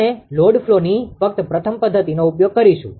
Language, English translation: Gujarati, We will use only the first method of the load flow